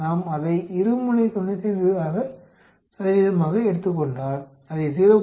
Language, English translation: Tamil, If we take it as a 95 percent two sided then you get it as 0